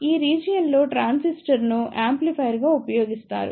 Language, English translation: Telugu, In this region the transistor is used as an amplifier